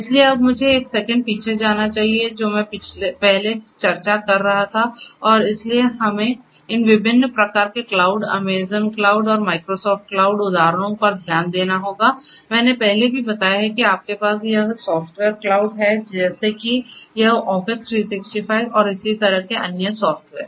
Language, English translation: Hindi, So, now let me go back one second to whatever I was discussing earlier and so we have to looked at these different types of cloud you know Amazon cloud and you know Microsoft cloud example have I have also told before like that you have this software cloud like you know this Office 365 and so on